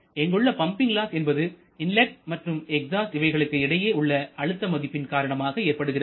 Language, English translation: Tamil, Here this pumping loss this one actually refers to the loss due to the pressure difference between the inlet side and exhaust side